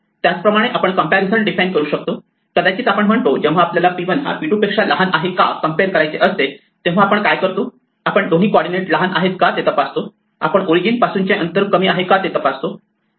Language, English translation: Marathi, Similarly, we can define comparisons; we might say what is to be done when we compare whether p 1 is less than p 2, do we check both coordinates are less, we check the distance from the origin is less; we have complete freedom how to define this